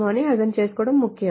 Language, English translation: Telugu, This is important to understand